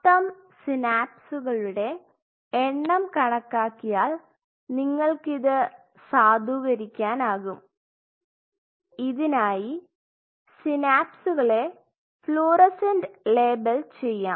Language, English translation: Malayalam, You can validate it by counting the total number of synapses, you can do that by fluorescently labeling the synapses you can